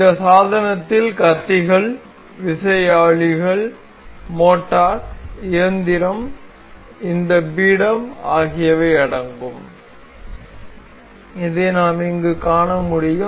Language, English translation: Tamil, This device includes blades, turbines, motor, engine, this pedestal we can see